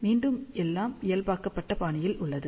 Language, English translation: Tamil, Again everything is in the normalized fashion